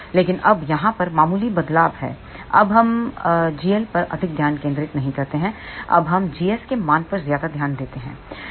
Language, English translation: Hindi, But now there is slight change now we do not give much focus to g l now we focus more on g s value